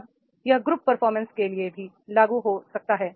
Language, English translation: Hindi, Now this can be also applicable for the group performance